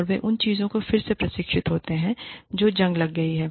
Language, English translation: Hindi, And, they are re trained in things, that have become rusty